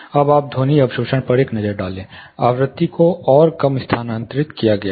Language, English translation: Hindi, Now you take a look at this, the absorption, sound absorption, the frequency is shifted further lower